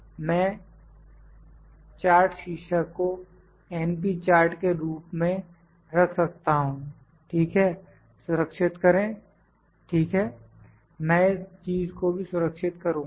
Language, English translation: Hindi, This number defective this is the np chart I can put the chart title as np chart, ok, save, ok, also I will save this thing